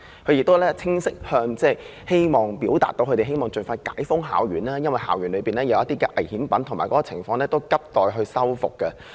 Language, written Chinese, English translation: Cantonese, 校方亦清晰向政府表示，希望能夠盡快將校園解封，因為校園內有些危險品，而且校內情況亦急待修復。, The University clearly stated to the Government their request for the cordon around PolyU campus be removed as soon as possible in consideration of the presence of dangerous goods on campus and the need to expeditiously undertake repair works